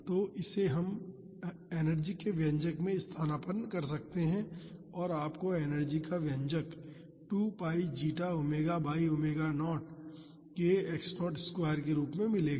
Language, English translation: Hindi, So, this we can substitute in the expression for energy and you will get the expression for energy as 2 pi zeta omega by omega naught k x naught square